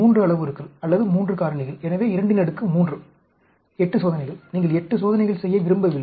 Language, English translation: Tamil, 3 parameters or 3 factors; so 2 raised to the power 3, 8 experiments, you do not want to do 8 experiments